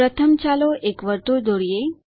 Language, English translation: Gujarati, First let us draw a circle